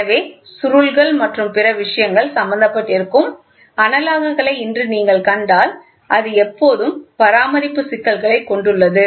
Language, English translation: Tamil, So, today if you see the analogous where there are springs and other things which are involved, so it always has maintenance issues